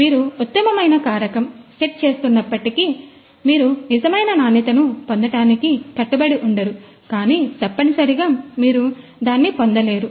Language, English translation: Telugu, Even though you are setting the optimum parameter, you know that you are not you are bound to get the true quality, but essentially you know you won’t get it